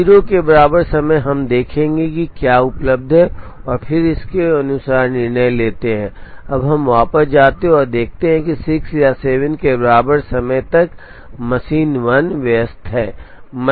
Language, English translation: Hindi, So, at time equal to 0 we will see what is available and then make a decision accordingly, now we go back and see that up to time equal to 6 or up to time equal to 7, machine 1 is busy